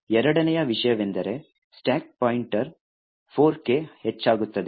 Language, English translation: Kannada, Second thing the stack pointer increments by a value of 4